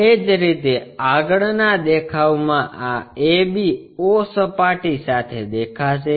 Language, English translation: Gujarati, Similarly, in the front view this ab o surface will be visible